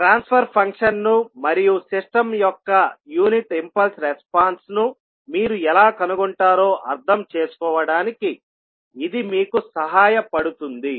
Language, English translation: Telugu, So this will help you to understand how you will find out the transfer function and then the unit impulse response of the system